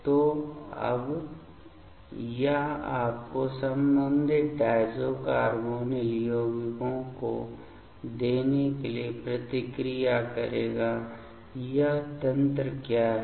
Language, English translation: Hindi, So, now, it will react to give you the corresponding diazo carbonyl compounds what is it is mechanism